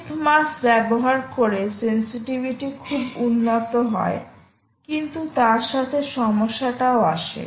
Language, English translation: Bengali, tip mass improves sensitivity, sensitivity, but has a problem of